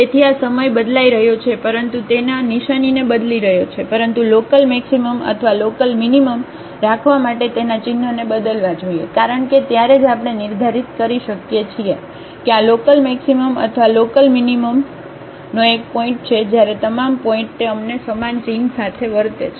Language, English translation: Gujarati, So, this is changing time, but changing its sign, but to have the local maximum or local minimum it should not change its sign, because then only we can determine this is a point of local maximum or local minimum when all the points in the neighborhood it behaves us with the same sign